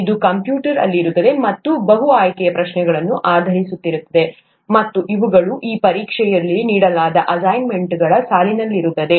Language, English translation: Kannada, This will be on the computer, again multiple choice questions based, and these, this exam would be on the lines of the assignments that are given